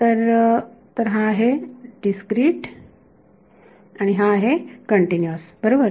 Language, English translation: Marathi, So, this is the discrete and this is continuous all right